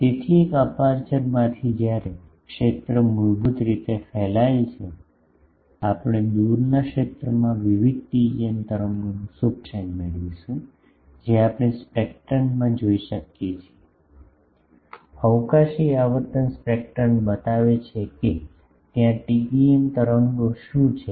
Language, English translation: Gujarati, So, from an aperture when the field is radiated basically, we will get in the far field the superposition of various TEM waves that we can see in the spectrum, the spatial frequency spectrum shows that what TEM waves are there ok